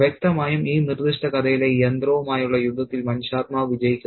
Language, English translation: Malayalam, And obviously the human spirit wins the battle with the machine in this particular story